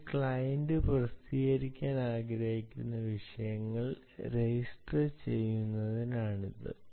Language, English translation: Malayalam, this is to register the topics that a client requires to publish